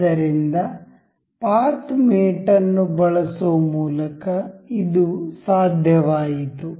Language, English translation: Kannada, So, this was possible by using path mate